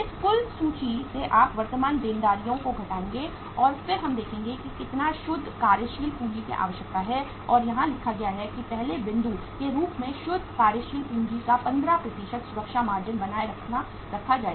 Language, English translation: Hindi, From that total list you will subtract the current liabilities and then we will see that how much uh net working capital is required and here it is written as the first point a safety margin of 15% of the net working capital will be maintained